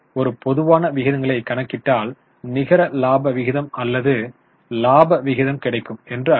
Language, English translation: Tamil, One typical ratios, which we can calculate is net profit ratio or variety of profitability ratios